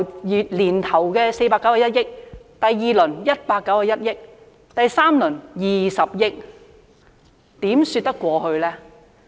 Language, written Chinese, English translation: Cantonese, 由年頭的491億元，到第二輪是191億元，到第三輪竟然只有20億元，這又怎說得過去呢？, At the beginning of the year there was 49.1 billion . In the second round there was 19.1 billion and in the third round only 2 billion